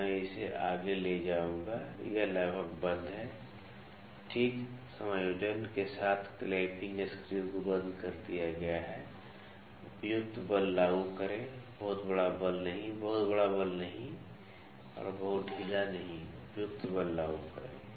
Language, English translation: Hindi, So, I will take it forward, it is almost locked lock the clamping screw with fine adjustment apply appropriate force not very large force, not very large force and not very loose apply appropriate force